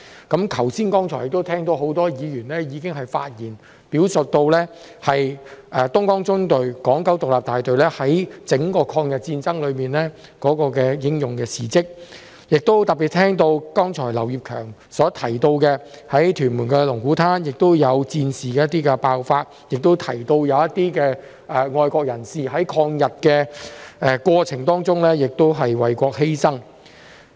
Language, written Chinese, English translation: Cantonese, 剛才聽到很多議員在發言中表述東江縱隊港九獨立大隊在整場抗日戰爭中的英勇事蹟，亦特別聽到剛才劉業強議員提到，在屯門龍鼓灘曾有戰事爆發，以及一些愛國人士在抗日過程中為國犧牲。, Just now I heard many Members speak on the deeds of bravery of the Hong Kong Independent Battalion of the Dongjiang Column during the whole War of Resistance . In particular just now I heard Mr Kenneth LAU mention that war had broken out at Lung Kwu Tan in Tuen Mun and patriots had sacrificed their lives for the country during the course of resistance against Japan